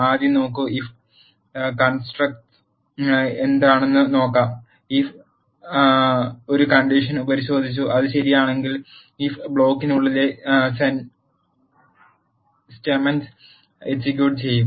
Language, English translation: Malayalam, First look at if construct, what if does is if checks for a condition if the condition is satisfied it will execute the statements that are in the if loop